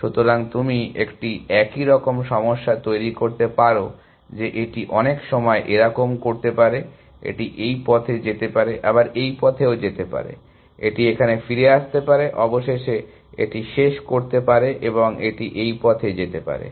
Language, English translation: Bengali, So, you can sense a similar problem as in that it may do this many time, it may go down this path, it may go down this path, it may come back here, eventually it may finish this and it may go down this path